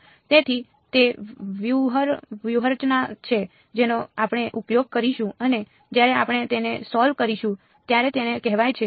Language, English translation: Gujarati, So, that is the strategy that we will use and when we solve it like that its called the